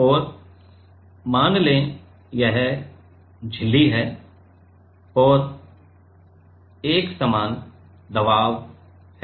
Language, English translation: Hindi, And let us say this is the membrane and uniform pressure